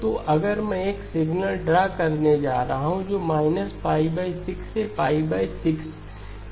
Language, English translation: Hindi, So if I am going to draw a signal that goes from minus pi by 6 to pi by 6 okay